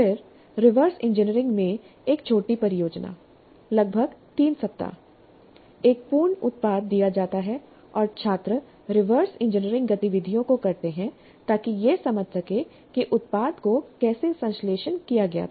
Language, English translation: Hindi, Then a small project in reverse engineering, a completed product is given and the students do the reverse engineering activities in order to understand how the product was synthesized